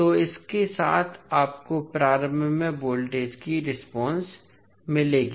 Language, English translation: Hindi, So, this with this you will get the voltage response across the inductor